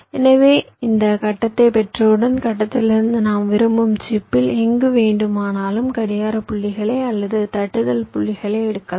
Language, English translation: Tamil, so once you have this grid, from the grid you can take the clock points or tapping points to anywhere in the chip you want